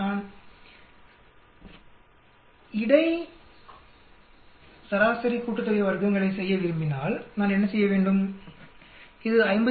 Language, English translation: Tamil, If I want to do average sum of squares for between what do I do this is between 57